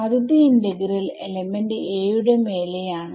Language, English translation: Malayalam, So, when I am integrating over element a